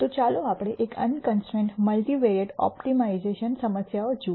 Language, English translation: Gujarati, So, let us look at an unconstrained multivariate optimization problem